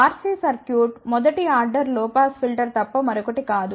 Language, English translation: Telugu, RC circuit is nothing but a first order low pass filter